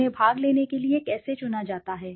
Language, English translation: Hindi, How are they selected to participate